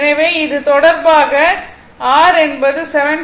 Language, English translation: Tamil, So, that is actually 7